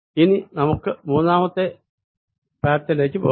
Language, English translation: Malayalam, now let's go for to path number three